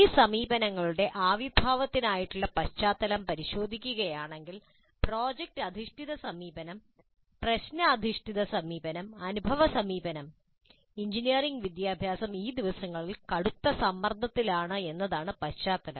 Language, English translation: Malayalam, If you look at the background for the emergence of these approaches, product based approach, problem based approach, experiential approach, we see that the context is that the engineering education is under severe pressure these days